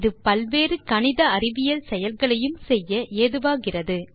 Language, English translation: Tamil, It provides many other important mathematical and scientific functions